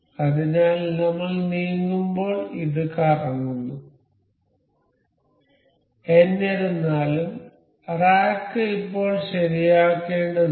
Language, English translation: Malayalam, So, as we move this this is rotating; however, the rack is still to be fixed